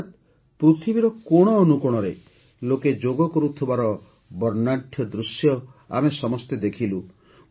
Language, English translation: Odia, That is, we all saw panoramic views of people doing Yoga in every corner of the world